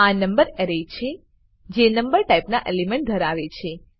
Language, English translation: Gujarati, This is the number array which has elements of number type